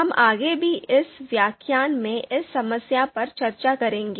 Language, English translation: Hindi, So, we will be discussing this problem in this lecture as well